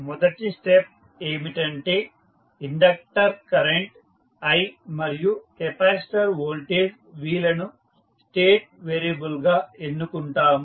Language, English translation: Telugu, We will first select inductor current i and capacitor voltage v as the state variables